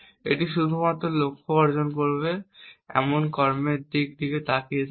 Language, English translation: Bengali, It is only looking at actions which will achieve the goal